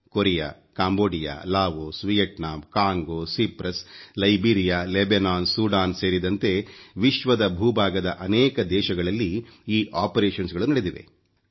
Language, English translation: Kannada, These operations have been carried out in Korea, Cambodia, Laos, Vietnam, Congo, Cyprus, Liberia, Lebanon, Sudan and many other parts of the world